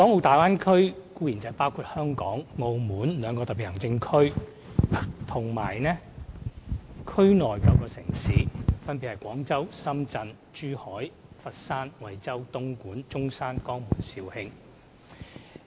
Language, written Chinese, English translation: Cantonese, 大灣區包括香港、澳門兩個特別行政區和區內9個城市，分別為：廣州、深圳、珠海、佛山、惠州、東莞、中山、江門，以及肇慶。, The Bay Area comprises two Special Administrative Regions―Hong Kong and Macao―and nine cities namely Guangzhou Shenzhen Zhuhai Foshan Huizhou Dongguan Zhongshan Jiangmen and Zhaoqing